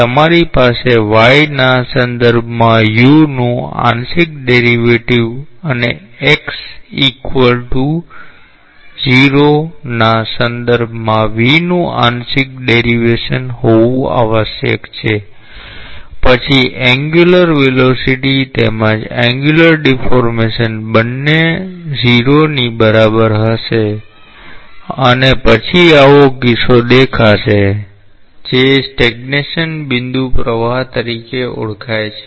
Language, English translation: Gujarati, You must have both the partial derivative of u with respect to y and partial derivative of v with respect to x equal to 0, then both the angular velocity as well as the angular deformation will be equal to 0 and then such a case is visible, that is known as a stagnation point flow